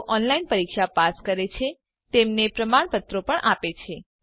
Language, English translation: Gujarati, Also gives certificates to those who pass an online test